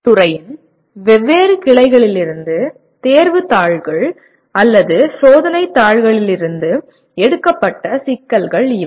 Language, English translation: Tamil, These are the types of problems that taken from the examination papers or test papers from various branches of engineering